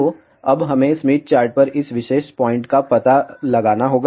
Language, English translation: Hindi, So, now, we have to locate this particular point on the Smith chart